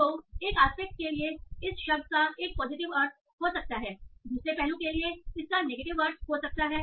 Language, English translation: Hindi, So, for one aspect this a word might have a positive meaning, for another aspect it might have a negative meaning